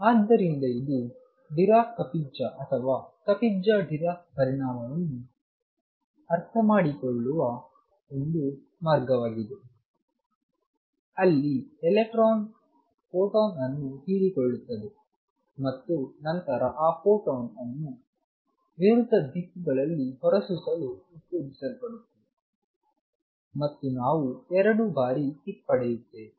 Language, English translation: Kannada, So, this is a way of understanding Dirac Kapitza or Kapitza Dirac effect, where electron absorbs a photon and then it is stimulated to emit that photon in the opposite directions we gets twice the kick